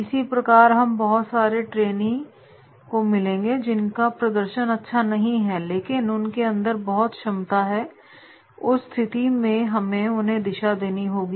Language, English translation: Hindi, Similarly, you will find certain trainees who are having very high potential but their performance is low and if their performance is low then in that case we have to give them direction